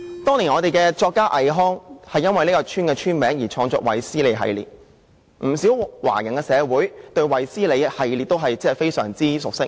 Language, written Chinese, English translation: Cantonese, 當年本港作家倪匡，也因為這個村的名字而創作了"衛斯理系列"的小說，不少華人社會對"衛斯理系列"也非常熟悉。, When the Hong Kong novelist NI Kuang wrote his works of the Wesley series he borrowed the name of this place . Many other Chinese communities are also very familiar with the Wesley series